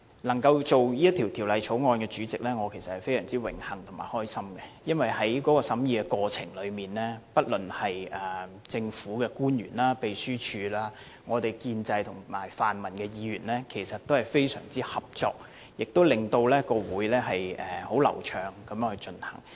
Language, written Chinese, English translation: Cantonese, 能夠擔任法案委員會的主席，我其實感到非常榮幸和開心，因為在審議過程中，不論是政府官員、秘書處、建制派或泛民派的議員，其實均非常合作，令會議流暢地進行。, It is actually my honour and pleasure to be the Chairman of the Bills Committee because in the course of scrutiny public officers the Secretariat and Members from the pro - establishment camp and the pan - democratic camp alike were actually very cooperative thereby enabling the smooth conduct of meetings